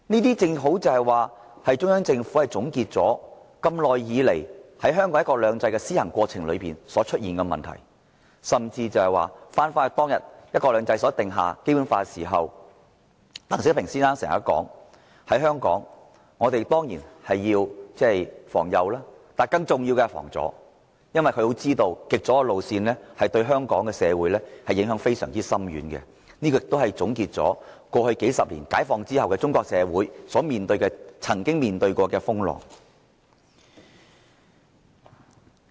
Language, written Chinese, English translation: Cantonese, 這正好顯示，中央政府總結了香港在施行"一國兩制"的過程中所出現的問題，甚至重返當天提出實行"一國兩制"，制定《基本法》時，鄧小平先生說的，在香港，當然要防右，但更重要的是防左，因為他清楚知道，極左的路線會對香港社會影響非常深遠，這也總結了過去數十年解放後中國社會所曾經歷的風浪。, This precisely reflects that the Central Government has summed up the problems arising in the course of implementing one country two systems in Hong Kong . The problem encountered when the proposed implementation of one country two systems and the enactment of the Basic Law were raised has even arisen again . Mr DENG Xiaoping said at that time that Hong Kong should guard against the rightist but it was more important to guard against the leftist because he clearly knew that the extreme leftist would have far - reaching impacts on Hong Kongs society